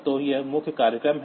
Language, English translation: Hindi, So, this is the main program